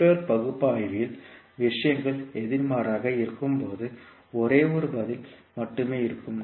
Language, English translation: Tamil, While in Network Analysis the things are opposite, there will be only one answer